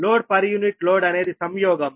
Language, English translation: Telugu, load per unit load, but it is conjugate, right